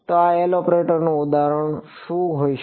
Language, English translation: Gujarati, So, what could be an example of this L operator